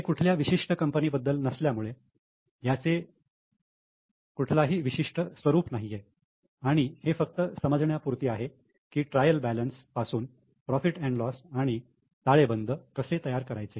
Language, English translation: Marathi, This is not for a company, so not in a particular format, just to understand from the trial balance how to make P&L and balance sheet